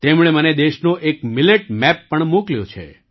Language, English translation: Gujarati, She has also sent me a millet map of the country